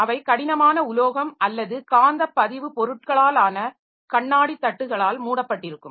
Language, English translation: Tamil, So, rigid metal or glass platters covered with magnetic recording material